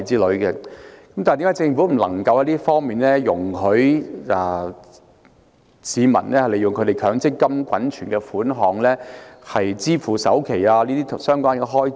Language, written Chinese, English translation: Cantonese, 為何政府不容許市民使用強積金滾存的款項支付首期等相關開支？, Why does the Government not allow the public to use the accumulated MPF benefits to meet the related expenses such as down payment?